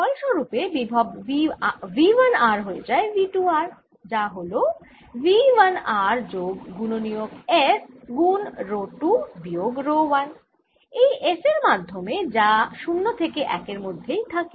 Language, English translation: Bengali, consequently, the potential v one r goes to v two r, which is v one r plus f rho two minus rho one, through this f, which is between zero and one